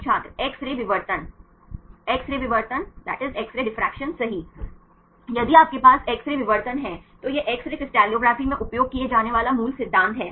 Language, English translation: Hindi, X ray diffraction X ray diffraction right, if you have the X ray diffraction right this is the basic principle used in X ray crystallography